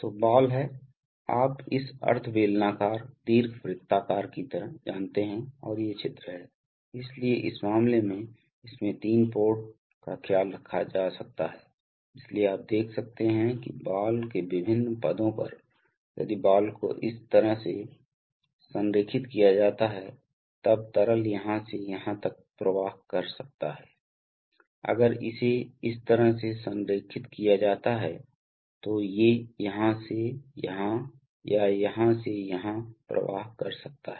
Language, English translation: Hindi, So the ball is, you know like this semi cylindrical ellipsoidal and these are the holes, so in this case, this has, this can take care of three ports, so you can see that in various positions of the ball, if the ball is aligned like this then liquid can flow from here to here, if it is aligned this way it can flow from this to this or this to this